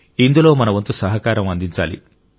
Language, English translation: Telugu, We have to contribute our maximum in this